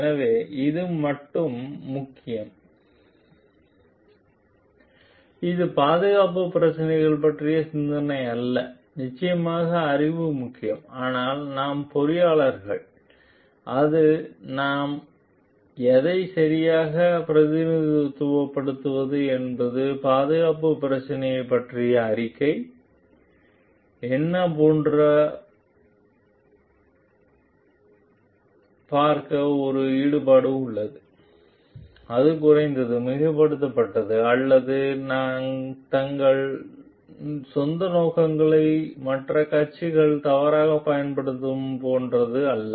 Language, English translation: Tamil, So, it is not the knowledge about the safety issues which are important only it is definitely the knowledge is important, but we have also as an engineers, it is a involvement with the to see like whatever we are reporting about the safety issues that it is represented properly, it is not understated, overstated or not like misused by other parties for their own intentions